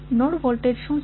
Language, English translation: Gujarati, What is the node voltage